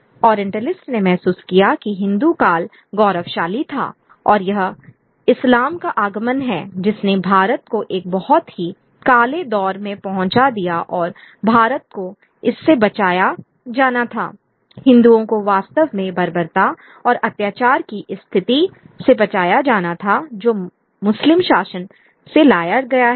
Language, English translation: Hindi, The Orientalist felt that the Hindu period was glorious and it is the coming of Islam that led India into a very dark period and India had to be rescued from this, the Hindus really had to be rescued from this position of barbarism which and tyranny that the Muslim rule has brought about